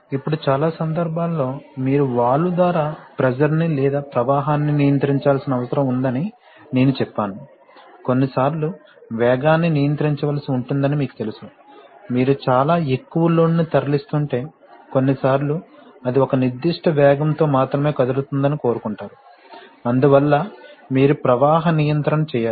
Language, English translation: Telugu, Now as I said that you in many cases, you need to control the pressure or the flow through the valve, sometimes, you know velocity has to be controlled, if you are moving a very high load, sometimes want that it moves that only at a certain speed, so for that you have to do flow control